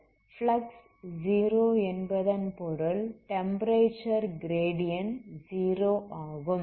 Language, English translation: Tamil, That means this flux is 0 that is the temperature gradient has to be 0 that is wx